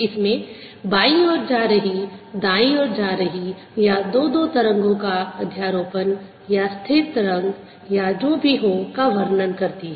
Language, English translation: Hindi, this describes a wave travelling to the left, travelling to the right, or superposition of the two, or a stationary wave, whatever